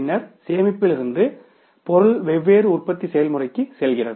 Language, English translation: Tamil, Then from the storage the material goes up to the different manufacturing processes